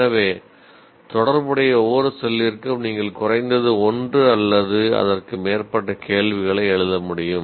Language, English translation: Tamil, So, in each one of the relevant cells, is it possible for you to write at least one or more questions for that